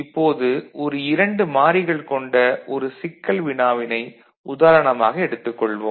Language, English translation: Tamil, So, here you see how it actually works out for a two variable problem